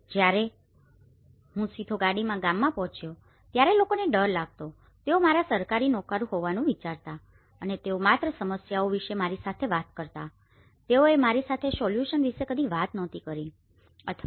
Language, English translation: Gujarati, when I approached the village directly in a car and going with, then people were afraid of they thought I was a Government servant and that only talk to me about problems they never talked to me about solutions or their how the things were doing I was getting a different data